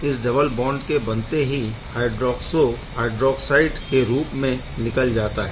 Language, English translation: Hindi, So, this double bond is formed and this hydroxo goes out as hydroxide HO minus